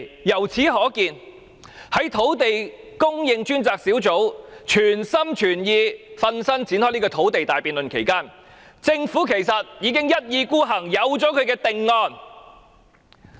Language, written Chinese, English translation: Cantonese, 由此可見，在專責小組全心全意展開土地大辯論期間，政府原來已一意孤行，早有定案。, Hence it can be concluded that when the Task Force was devoted to conducting the big debate on land supply the Government had actually made a final decision in disregard of other opinions